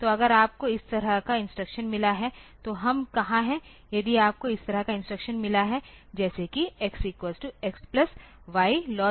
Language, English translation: Hindi, So, if you have got instruction like this so, where we are if you have got instruction like say x equal to x plus y left shifted by 2